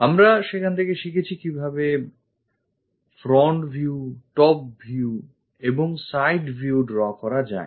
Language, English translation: Bengali, There we have learned about the views like front view, top view, and side views